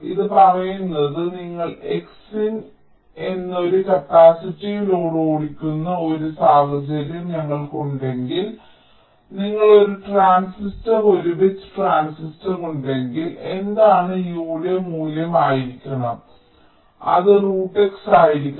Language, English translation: Malayalam, this says that if we have a scenario like this, where you are driving a capacity load which is x times of c in and you have one transistor, a bit transistor, like what should be the value of u, it should be square of root of x, then the total delay will be minimized